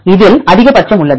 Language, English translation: Tamil, So, this is a maximum